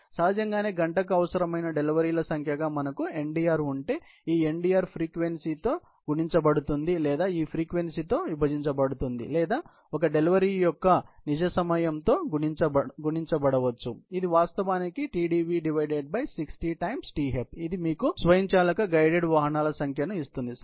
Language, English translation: Telugu, Obviously, if we had Ndr as the number of deliveries required per hour, this Ndr multiplied by the frequency, or divided by this frequency, or may be just multiplied with the real time of one delivery, which is actually the Tdv by 60 Tf, which actually give you the number of automated guided vehicles, which are needed ok